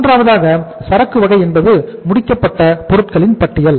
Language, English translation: Tamil, Third is type of the inventory is the inventory of finished goods